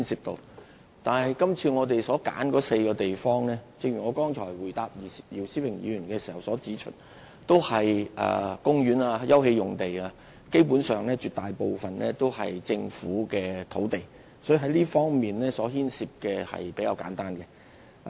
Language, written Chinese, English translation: Cantonese, 但是，就是次我們揀選的4個地區，正如我剛才回答姚思榮議員的補充質詢時所指出，涉及的都是公園/休憩用地，基本上絕大部分是政府土地，所以牽涉的問題亦比較簡單。, However as I have pointed out just now in my reply to the supplementary question raised by Mr YIU Si - wing most of the sites involved in the four areas selected for the current study are parksopen space which are basically government land and the problems concerned are thus relatively simple